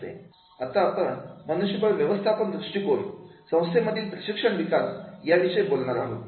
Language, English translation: Marathi, Now, we will talk about the HRM approaches to training development in organization